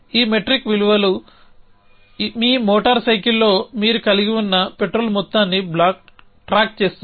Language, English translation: Telugu, So, this metric values would keep track of amount of the petrol that you have in a your motor cycle